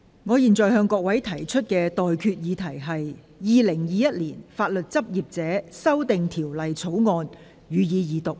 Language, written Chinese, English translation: Cantonese, 我現在向各位提出的待決議題是：《2021年法律執業者條例草案》，予以二讀。, I now put the question to you and that is That the Legal Practitioners Amendment Bill 2021 be read the Second time